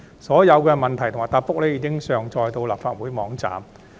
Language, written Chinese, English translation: Cantonese, 所有質詢及答覆已上載到立法會網站。, The questions and replies were uploaded onto the website of the Legislative Council